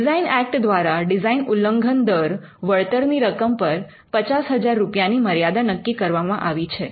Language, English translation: Gujarati, The designs act sets the limit for compensation per design infringement at 50,000 rupees